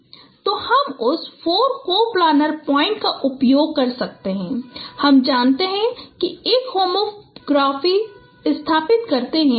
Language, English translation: Hindi, So I can using that four coplanar points we know that they establish a homography